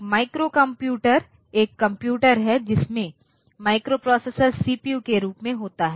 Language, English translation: Hindi, A microcomputer is a computer with a microprocessor as its CPU